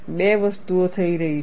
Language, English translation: Gujarati, There are two things happening